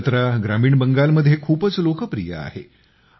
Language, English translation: Marathi, This fair is very popular in rural Bengal